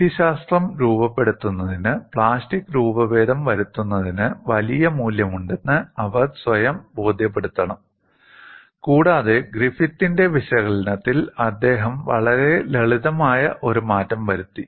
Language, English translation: Malayalam, For them to formulate the methodology, they have to convince that there is large value of plastic deformation, and he made a very simple modification to Griffith’s analysis